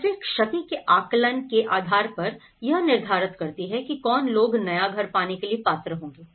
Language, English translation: Hindi, And then based upon the damage assessment, who will be eligible to get a new house